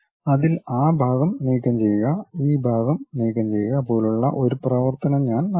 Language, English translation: Malayalam, On that I will make operation like remove that portion, remove that portion